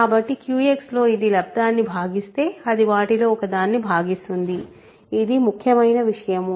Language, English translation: Telugu, So, it divides the product then it divides one of them in QX that is the important point